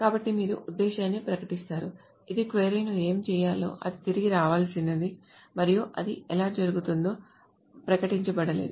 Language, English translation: Telugu, So you just declare the intent, you just declare what the query is supposed to be doing, what it is supposed to be returning, and not how it is being done